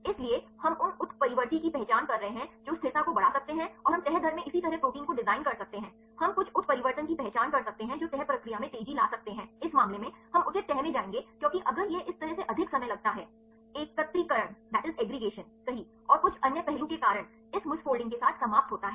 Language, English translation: Hindi, So, we are identify the mutants which can enhance the stability and we can design proteins likewise in the folding rate, we can identify a some mutations which can accelerate the folding process, in this case, we will go to the proper folding because if it takes more time then this way end up with this missfolding, right, due to aggregation right and some other aspect